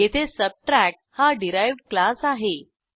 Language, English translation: Marathi, Now we have class Subtract as derived class